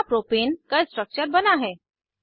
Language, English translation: Hindi, Lets first draw the structure of propane